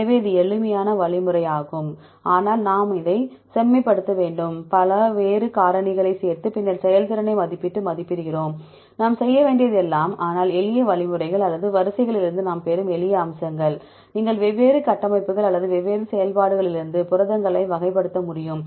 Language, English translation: Tamil, So, this is simple algorithm, but we need to refine this, adding various other factors and then estimating the performance and validating, that everything we need to do, but simple algorithms or simple features we obtain from the sequence, you are able to classify the proteins from different structures or different functions